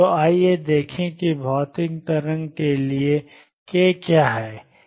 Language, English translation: Hindi, So, let us see what is k for material wave